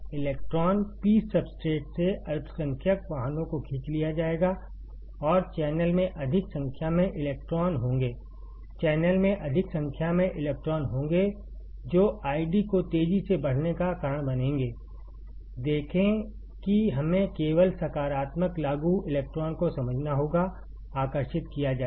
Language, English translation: Hindi, The electron ; the minority carriers from the P substrate will be pulled up and there will be more number of electrons in the channel, there will be more number of electrons in the channel that will cause I D to increase rapidly; see we have to just understand positive apply electron will be attracted